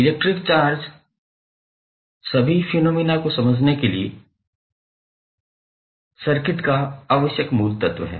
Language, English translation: Hindi, So, electric charge is most basic quantity of circuit required to explain all electrical phenomena